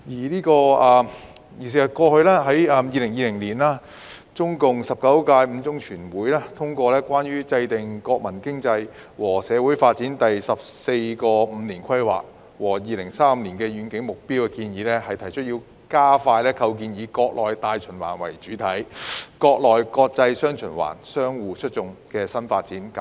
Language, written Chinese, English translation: Cantonese, 在2020年，中共第十九屆五中全會通過《中共中央關於制定國民經濟和社會發展第十四個五年規劃和2035年遠景目標的建議》，提出加快構建"以國內大循環為主體、國內國際'雙循環'相互促進"新發展格局。, In 2020 the Fifth Plenary Session of the 19th Central Committee of the Communist Party of China CCCPC adopted the Proposals for Formulating the 14th Five - Year Plan for National Economic and Social Development and the Long - Range Objectives Through the Year 2035 which proposes to accelerate the establishment of a new development pattern featuring domestic and international dual circulation which takes the domestic market as the mainstay while enabling domestic and foreign markets to interact positively with each other